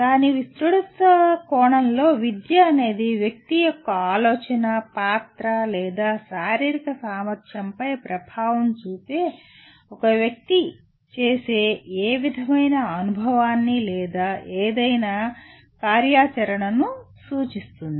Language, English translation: Telugu, In its broad sense, education refers to any kind of experience or any activity an individual does which has impact on the person’s thinking, character, or physical ability